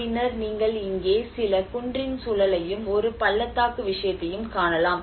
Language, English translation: Tamil, And then you can see some cliff kind of environment here and a valley sort of thing